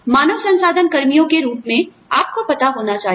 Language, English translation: Hindi, As a HR personnel, you need to know